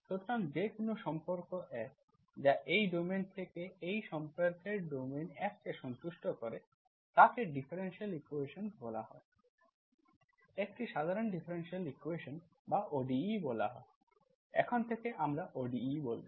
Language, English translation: Bengali, So any relation F, that is from this domain to this domain satisfying F of this relation, F equal to 0 is called, is called differential equation, is called an ordinary differential equation or ODE, now onwards we call ODE